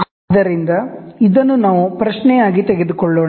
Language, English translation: Kannada, So, let us take this as a question